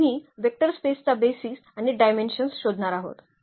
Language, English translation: Marathi, So, we have to we are going to find the basis and the dimension of the vector space